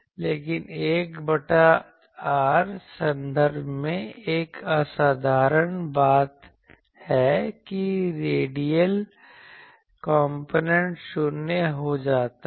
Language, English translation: Hindi, But in the 1 by r term, there is a remarkable thing that the radial component that becomes 0